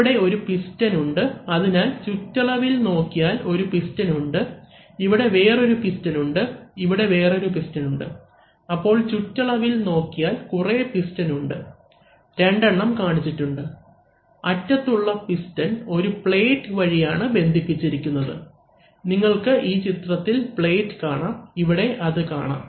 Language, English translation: Malayalam, So, there are, this is one piston, so along the periphery this is one piston, here there is another piston, here there is another piston, so along the periphery there are a number of Pistons, two of them are being shown, right and this pistons at the end is actually connected by a plate, so you see the plate in the figure, so see the plate in the figure